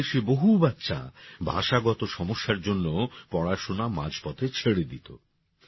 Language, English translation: Bengali, In our country, many children used to leave studies midway due to language difficulties